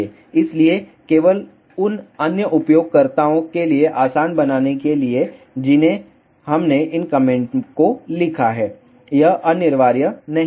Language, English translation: Hindi, So, just to make it easy for other users we have written these comments it is not mandatory